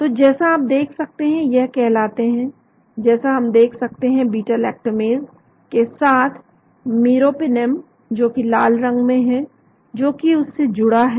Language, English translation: Hindi, So as you can see they are called, so we can see beta lactamase with meropenem in the red which is bound to that